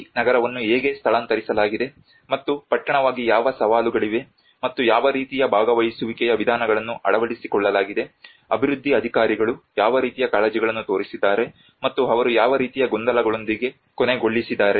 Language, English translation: Kannada, And today I will explain you that how the whole city has been moved and what are the challenges involved in this moving as town, and what kind of participatory approaches has been adopted, what kind of concerns it has the development authorities have shown, and what kind of confusions they have ended up with